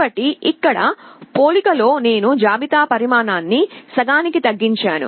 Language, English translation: Telugu, So, you see in one comparison I have reduced the size of the list to half